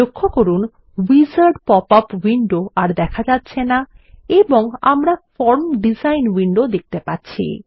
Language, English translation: Bengali, Notice that the wizard popup window is gone and we are looking at the form design window